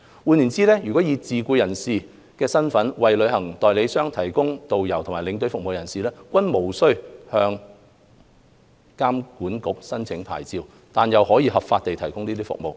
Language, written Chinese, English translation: Cantonese, 換言之，以自僱人士身份為旅行代理商提供導遊和領隊服務的人士，均無須向旅監局申領牌照，但又可合法地提供有關服務。, To put it another way a self - employed person may lawfully provide tourist guidetour escort services to travel agents without obtaining any licence from TIA